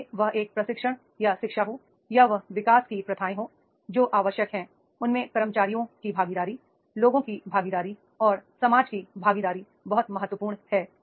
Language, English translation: Hindi, Whether it is a training or education or it is the development practices, what is required is the participation of the employees, participation of the people, participation of the society is becoming very, very important